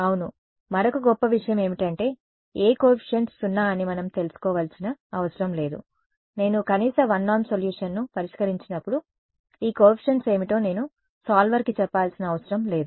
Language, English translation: Telugu, Yeah, the other great thing is that we do not need to know which coefficients are zero, I can when I solve the minimum 1 norm solution I do not have to tell the solver these coefficients are going to be non zero